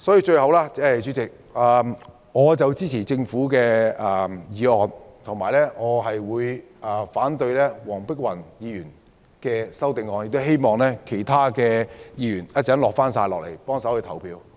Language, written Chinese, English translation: Cantonese, 最後，主席，我支持政府建議的《修訂規例》，反對黃碧雲議員動議的擬議決議案，亦希望其他議員稍後返回會議廳投票。, Lastly President I support the Amendment Regulation proposed by the Government but oppose the proposed resolution moved by Dr Helena WONG . I hope other Members will return to the Chamber to cast their votes